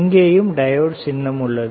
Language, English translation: Tamil, There is a symbol of diode here also